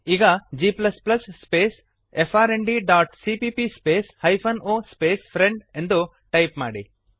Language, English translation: Kannada, Now type: g++ space frnd dot cpp space hyphen o space frnd.Press Enter